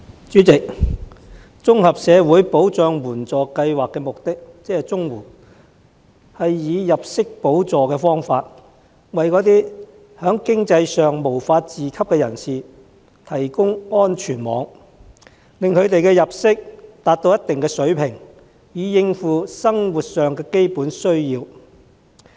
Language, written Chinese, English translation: Cantonese, 主席，綜合社會保障援助計劃的目的，是以入息補助方式，為在經濟上無法自給的人士提供安全網，使他們的入息達到一定水平，以應付生活上的基本需要。, President the Comprehensive Social Security Assistance CSSA Scheme provides a safety net for those who cannot support themselves financially . It is designed to bring their income up to a specific level to meet their basic needs in daily living